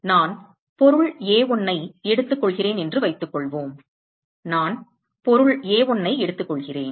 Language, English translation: Tamil, Supposing I take object A1, supposing I take object A1